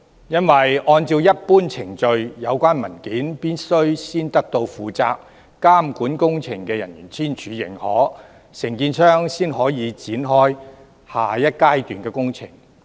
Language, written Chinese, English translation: Cantonese, 因為，按照一般程序，有關文件必須先得到負責監管工程的人員簽署認可，承建商才可以展開下一階段的工程。, It is because under the usual procedures the relevant documents must be signed and approved by the staff responsible for overseeing the project before the contractor can commence the works of the next stage